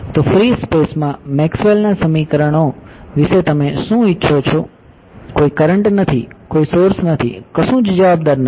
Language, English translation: Gujarati, So, you want what about Maxwell’s equations in free space, no current, no sources, nothing right